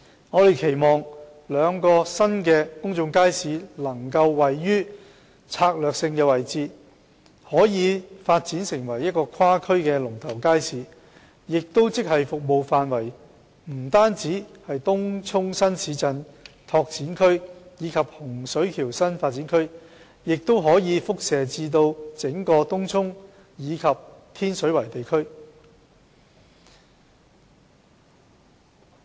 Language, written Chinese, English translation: Cantonese, 我們期望兩個新公眾街市能夠位於策略性位置，可以發展成為跨區的龍頭街市，即服務範圍不單是東涌新市鎮擴展區及洪水橋新發展區，而是延伸至整個東涌及天水圍地區。, We hope to place the two new public markets in strategic locations so that they can be developed into cross - district leading markets not only serving Tung Chung New Town Extension and Hung Shui Kiu New Development Area but be extended to cover the entire Tung Chung area and Tin Shui Wai district as a whole